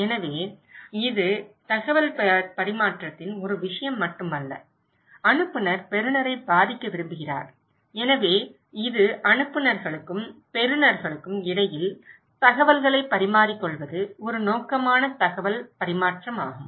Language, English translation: Tamil, So, it’s not only a matter of exchange of informations but sender wants to influence the receiver, so it is a purposeful exchange of information, purposeful exchange of informations between senders and receivers